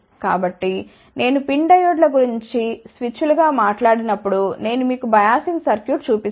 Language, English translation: Telugu, So, when I talk about PIN diodes as switches I will show you the biasing circuit